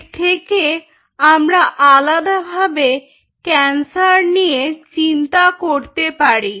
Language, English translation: Bengali, so that brings us to a very different way of looking at cancer